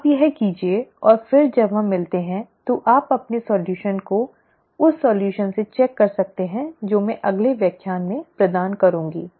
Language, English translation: Hindi, Why donÕt you work this out and then when we meet you can check the solution with the solution that I will provide in the next lecture